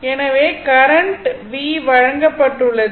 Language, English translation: Tamil, So, current the v, v is given